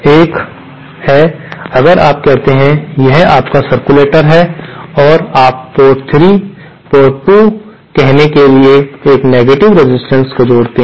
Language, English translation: Hindi, One is if you say this is your circulator and you connect a negative resistance to say port 3, port 2